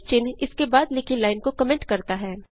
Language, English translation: Hindi, # sign comments a line written after it